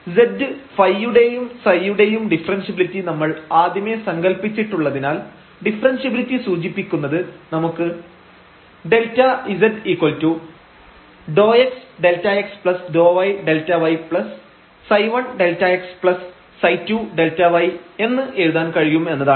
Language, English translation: Malayalam, And since we have assumed already the differentiability of all these functions z phi and psi, then differentiability of z will imply that we can write down this delta z is equal to del x delta x plus del y delta y and psi 1 delta x plus psi 2 delta y